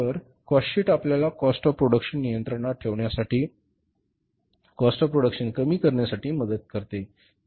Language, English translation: Marathi, So cost sheet helps us in controlling the cost of production, in reducing the cost of production